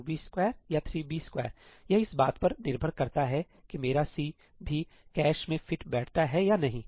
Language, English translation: Hindi, 2 b square or 3 b square that depends on whether my C also fits into the cache or not